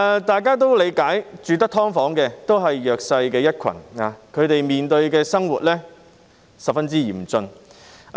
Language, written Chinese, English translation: Cantonese, 大家也理解，居住在"劏房"的居民也是弱勢一群，他們的生活十分艱困。, We can understand that the tenants living in subdivided units are also a disadvantaged group of people and they are living a very hard life